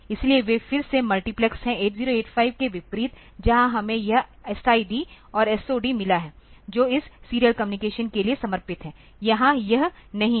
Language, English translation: Hindi, So, unlike a 8085 where we have got this S I D and S O D in which dedicated for this serial communication; here it is not